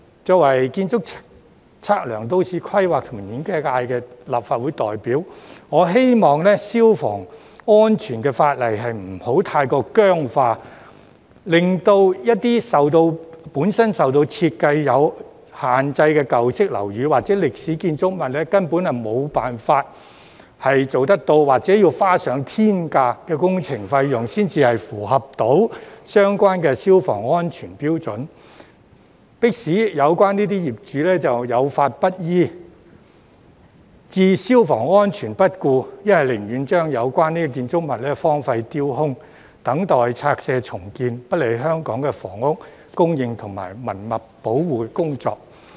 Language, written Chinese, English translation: Cantonese, 作為建築、測量、都市規劃及園境界的立法會代表，我希望消防安全法例不會過於僵化，以致一些本身在設計上有限制的舊式樓宇或歷史建築物，根本無法符合相關消防安全標準，或需花上天價工程費，才能符合相關標準，迫使有關業主有法不依，把消防安全置之不顧，又或寧願把有關建築物荒廢丟空，等待拆卸重建，不利香港的房屋供應和文物保護工作。, As the Member representing the architectural surveying planning and landscape constituency I hope that fire safety legislation is not overly rigid which would render it not possible for some old or historic buildings given their design constraints to meet the relevant fire safety standards or without incurring an exorbitant works cost . The relevant owners would thus have no alternative but to disregard the law or fire safety or they would rather leave the buildings derelict and vacant pending demolition and redevelopment . This would be detrimental to the housing supply and heritage conservation work in Hong Kong